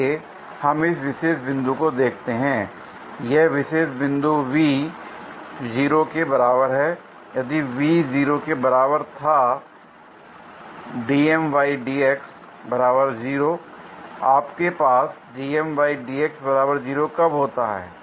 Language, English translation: Hindi, Let us look at this particular point, this particular point V is equal to 0, if V were equal to 0, dM by dx is equal to 0